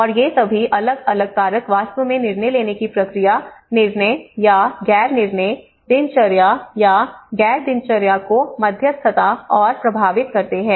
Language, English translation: Hindi, And these, these all different factors actually mediate and influence the decision making process, decisions or non decisions, routine or non routine